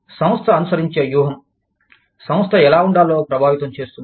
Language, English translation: Telugu, The strategy, the organization adopts, is affects, how the organization takes place